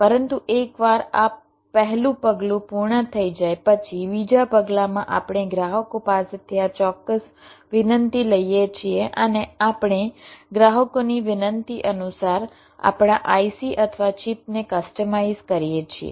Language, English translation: Gujarati, but once this first step is done, in this second step we take this specific request from the customers and we customize our ic or chip according to the request by the customers